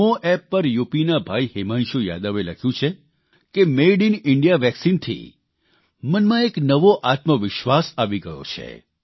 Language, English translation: Gujarati, On NamoApp, Bhai Himanshu Yadav from UP has written that the Made in India vaccine has generated a new self confidence within